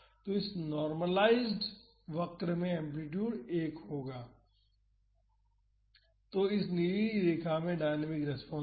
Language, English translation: Hindi, So, in this normalized curve that amplitude will be 1 so, in this blue line is the dynamic response